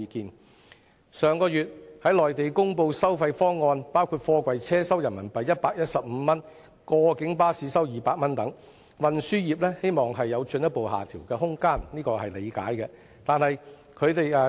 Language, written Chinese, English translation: Cantonese, 對於上月內地公布的收費方案，包括貨櫃車收取115元人民幣、過境巴士收取200元人民幣等，運輸業希望有進一步下調的空間，這是可以理解的。, Regarding the proposed toll levels announced by the Mainland authorities last month including RMB115 for container trucks and RMB200 for cross - boundary coaches the transport trade hopes that there will be a further downward adjustment and their request is understandable